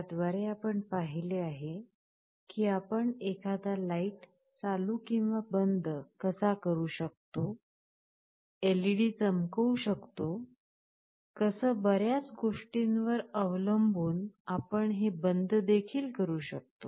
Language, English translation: Marathi, Like for example, you can turn on or turn off a light, you can glow an LED, you can turn it off depending on so many things